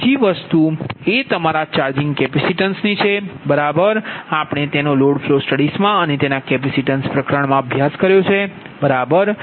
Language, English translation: Gujarati, another thing is the charging, your charging capacitance right that we have studied in your load flow studies also right and its a capacitance chapter also